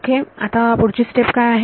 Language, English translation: Marathi, So, what is the next step